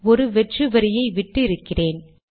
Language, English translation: Tamil, I have left a blank line